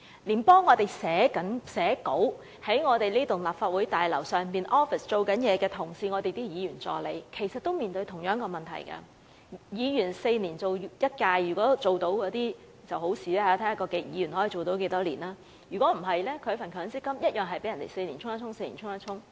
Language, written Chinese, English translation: Cantonese, 連幫我們寫稿，在立法會大樓辦公室工作的同事，即我們的助理，亦面對同樣的問題，議員4年一屆任期，如果議員能連任當然最好，視乎議員連任多少屆，否則一般議員助理的強積金每4年便要被對沖一次。, Even the colleagues working in the offices of the Legislative Council Complex that is our assistants who write up speech drafts for us face the same problem . The term of office of a Member is four years . It will be best if a Member can get re - elected